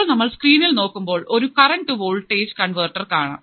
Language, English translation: Malayalam, So, if you come in the screen, there is a current to voltage converter